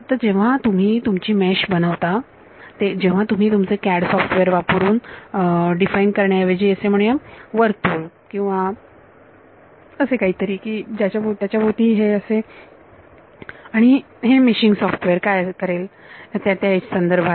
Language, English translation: Marathi, So, when you mesh your when you use your CAD software instead of define a let us say circle or something around it and what meshing software will do is it will respect that edge